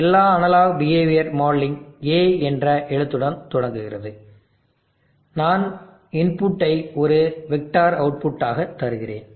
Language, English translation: Tamil, And all analog behavioural modelling starts with letter A okay, and I am giving the inputs as a vector output